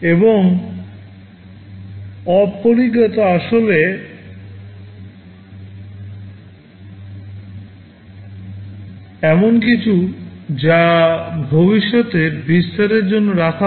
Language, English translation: Bengali, And undefined is actually something which is kept for future expansion